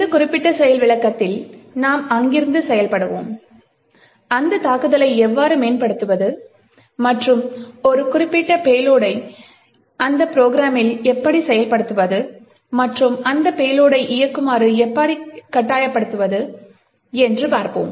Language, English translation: Tamil, In this particular demonstration we will work from there and we will see how we can enhance that attack and inject a particular payload into that program and force that payload to execute